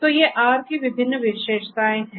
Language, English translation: Hindi, So, these are the different features of R